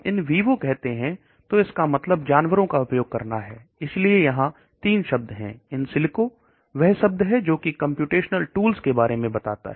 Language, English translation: Hindi, When we say in vivo it means using animals, so there are 3 terms in silico that is the term here which talks using computational tools okay